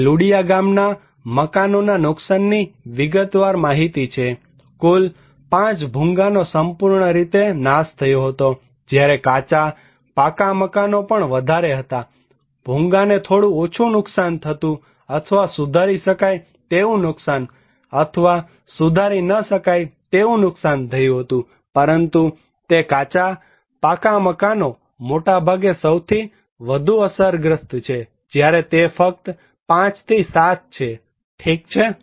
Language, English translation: Gujarati, Here are the detail extent of damage of the houses in Ludiya village, totally that destroyed Bhungas was 5, whereas the Kaccha, Pucca house was much higher, Bhungas were little damage or repairable damage or irreparable damage, but it is mostly the most affected at the Kaccha, Pucca houses let us see whereas, it is only 5 to 7, okay